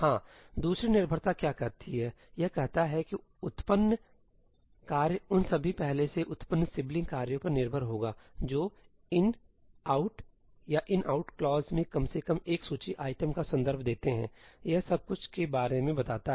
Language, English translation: Hindi, Yeah, what does the second dependency say it says that the generated task will be dependent task of all previously generated sibling tasks that reference at least one of the list items in an ëiní, ëoutí or ëinoutí clause that covers just about everything, right